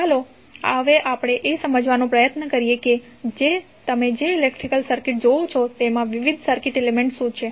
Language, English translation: Gujarati, Now, let us try to understand, what are the various circuit elements in the electrical circuit you will see